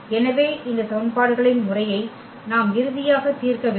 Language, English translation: Tamil, So, we need to solve finally, this system of equations